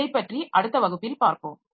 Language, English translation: Tamil, So we'll look into this in the next class